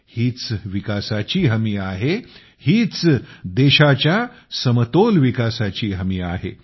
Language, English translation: Marathi, This is a guarantee of development; this is the guarantee of balanced development of the country